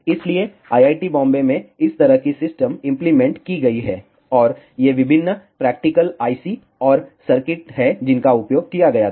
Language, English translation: Hindi, So, such a system has been implemented at IIT Bombay and these are the various practical ICS and circuits that were be used